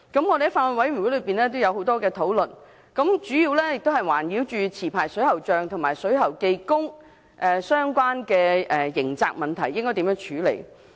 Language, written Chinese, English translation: Cantonese, 我們在法案委員會進行了很多討論，主要圍繞持牌水喉匠和水喉技工相關的刑責問題，應該如何處理。, We have sufficiently discussed in the Bills Committee how we should deal with the criminal liabilities of licensed plumbers and plumbing workers